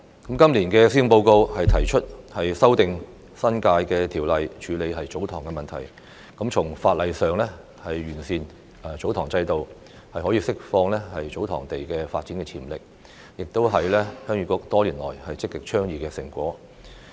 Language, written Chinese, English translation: Cantonese, 今年的施政報告提出修訂《新界條例》以處理"祖堂"問題，從法例上完善"祖堂"制度，釋放祖堂土地發展潛力，這亦是鄉議局多年來積極倡議的成果。, To address the issue of TsoTong this years Policy Address proposes to amend the New Territories Ordinance for improving the TsoTong system through legislation and unlocking the development potential of ancestral sites . This is also the fruit of Heung Yee Kuks efforts of advocating proactively such initiatives over the years